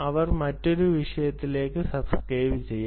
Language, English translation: Malayalam, they can be subscribing to another topic